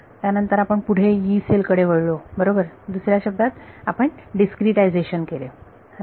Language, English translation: Marathi, Next we went to Yee cell right in other words we discretized right